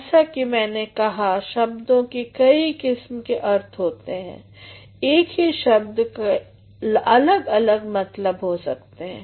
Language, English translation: Hindi, As I said words have got a range of meaning one word may have got different meanings